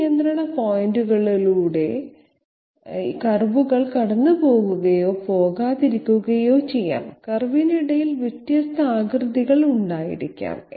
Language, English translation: Malayalam, In between the curves might or might not pass through these control points okay and the curve can be having different shapes in between